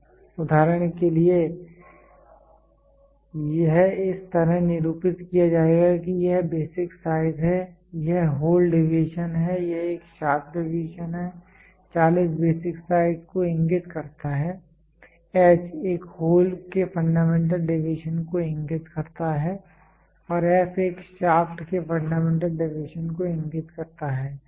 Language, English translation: Hindi, For example, it will be represented like this is a basic size this is the hole deviation this is a shaft deviation; 40 indicates the basic size, H indicates the fundamental deviation of a hole, f indicates the indicates the fundamental deviation of a shaft